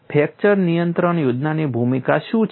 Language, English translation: Gujarati, What is the role of the fracture control plan